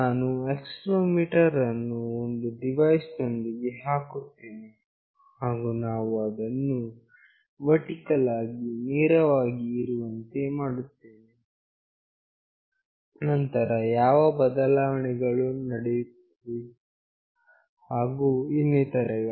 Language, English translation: Kannada, When I put accelerometer along with a device, and we make it vertically straight, then what changes happen, and so on